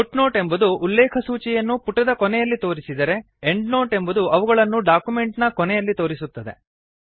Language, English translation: Kannada, Footnotes appear at the bottom of the page on which they are referenced whereas Endnotes are collected at the end of a document